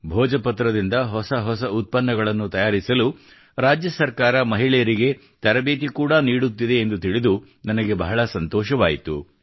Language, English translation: Kannada, I am also happy to know that the state government is also imparting training to women to make novel products from Bhojpatra